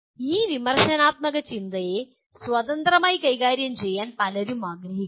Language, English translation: Malayalam, Many people want to deal with this critical thinking independently